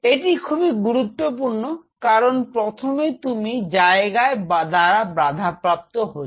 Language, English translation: Bengali, This is very critical because first of all you are constrained by space